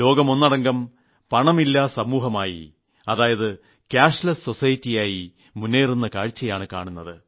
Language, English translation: Malayalam, The whole world is moving towards a cashless society